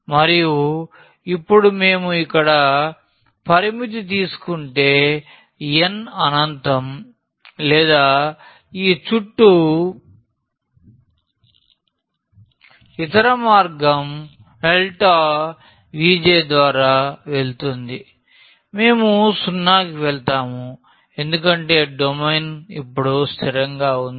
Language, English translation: Telugu, And, now if we take the limit here as n goes to infinity or other way around that this delta V j we will go to 0 because the domain is fixed now